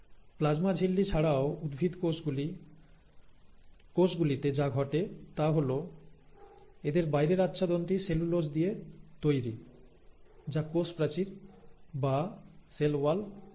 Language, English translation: Bengali, So in addition to a plasma membrane, what happens in plant cells is they have this outer covering made up of cellulose, which is what you call as the cell wall